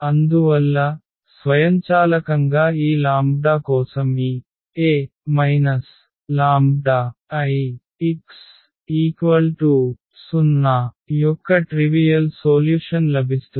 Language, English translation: Telugu, And therefore, automatically for these lambdas we will get the non trivial solution of these A minus lambda I x is equal to 0